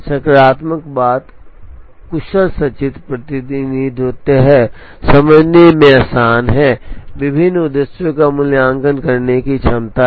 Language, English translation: Hindi, The positive thing is the efficient pictorial representation, easy to understand, ability to evaluate a variety of objectives